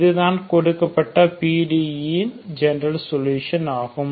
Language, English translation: Tamil, This is the general solution of given PDE